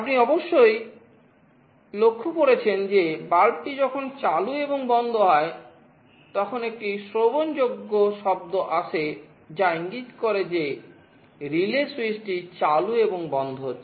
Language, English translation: Bengali, You must have noticed that when the bulb is switching ON and OFF, there is an audible sound indicating that the relay switch is turning on and off